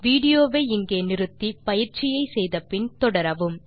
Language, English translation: Tamil, Please, pause the video here, do the exercise and then continue